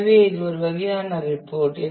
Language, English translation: Tamil, So, this kind of is a report